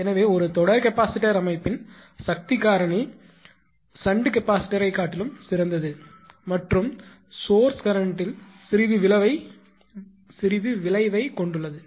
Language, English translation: Tamil, So however, a series capacitor better the system power factor much less than a shunt capacitor and a little effect on the source current